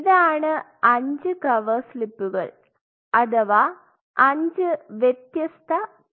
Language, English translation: Malayalam, So, these are five cover slips or in other word you can say 5 different trials